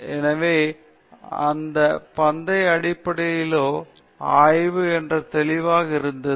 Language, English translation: Tamil, So, it was obvious that it was a race based study